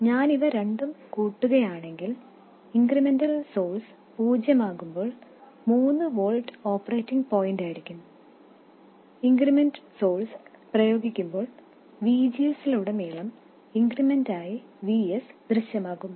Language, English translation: Malayalam, So, if I sum these two, then 3 volts will be the operating point when the incremental source is 0 and when the incremental source is applied then VS will appear as the increment across VGS